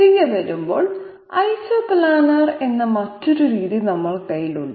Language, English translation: Malayalam, Coming back, we have another method which is called Isoplanar